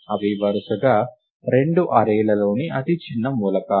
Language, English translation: Telugu, They are the smallest elements in the two arrays respectively